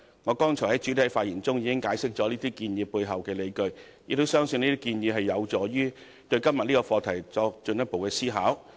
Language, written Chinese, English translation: Cantonese, 我昨天在發言中已解釋這些建議背後的理據，亦相信這些建議有助於對今天這個課題作進一步的思考。, In my speech yesterday I already explained the underlying grounds for those proposals . And I also believe those proposals can help induce further thoughts on this issue today